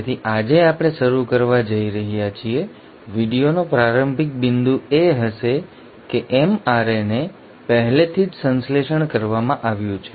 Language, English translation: Gujarati, So today we are going to start, starting point of the video is going to be that the mRNA has been already synthesised